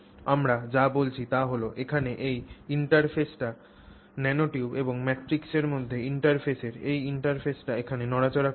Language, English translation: Bengali, So, what we are saying is this interface here the interface between the nanotube and the matrix the nanotube and the matrix, the nanotube and the matrix, this interface here that is not moving